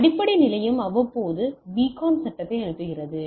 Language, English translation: Tamil, Base station sends beacon frame periodically